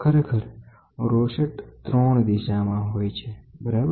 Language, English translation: Gujarati, In fact, rosette is for 3 directions, right